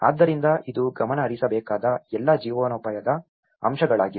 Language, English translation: Kannada, So, this is all the livelihood aspects which has to be addressed